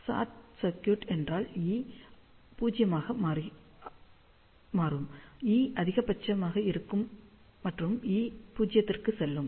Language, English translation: Tamil, So, short circuit means E will be 0, E will be maximum, and the E will go to 0